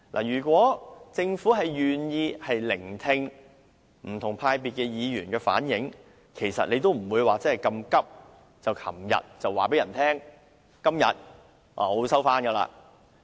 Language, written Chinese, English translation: Cantonese, 如果政府願意聆聽不同派別議員的意見，便不會如此急切在昨天公布全體委員會休會待續的議案。, If the Government is willing to listen to the views of Members from different groupings it would not have urgently announced a motion to adjourn the proceedings of the committee of the whole Council yesterday